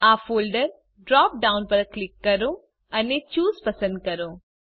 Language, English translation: Gujarati, Click on the Folder drop down and select Choose